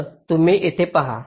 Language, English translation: Marathi, so you see here